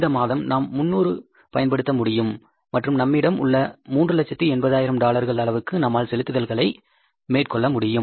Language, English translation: Tamil, This month you can use 300 and you can make the payments worth of $380,000 which is available with us